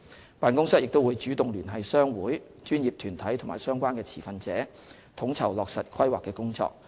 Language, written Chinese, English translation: Cantonese, 該辦公室亦會主動聯繫商會、專業團體和相關持份者，統籌落實《規劃》的工作。, The office will also proactively approach trade associations professional bodies and relevant stakeholders to coordinate effort related to the implementation of the Plan